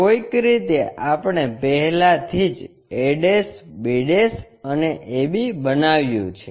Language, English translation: Gujarati, Somehow, we have already constructed a' b' and AB